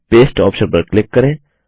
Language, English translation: Hindi, Click on the Paste option